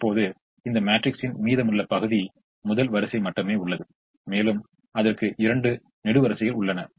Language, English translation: Tamil, now the remaining part of this matrix has only the first row remaining, only the first row remaining, and it has two columns remaining